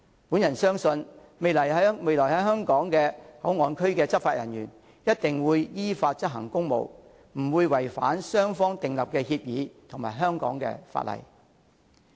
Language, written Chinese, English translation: Cantonese, 我相信未來在香港內地口岸區執法的人員一定會依法執行公務，不會違反雙方訂立的協議及香港的法例。, I believe that in the future law enforcement officers at the Mainland Port Area will surely perform their official duties according to the law and will not breach the bi - lateral agreement or the laws of Hong Kong